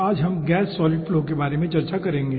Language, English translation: Hindi, today we will be discussing about gas solid flow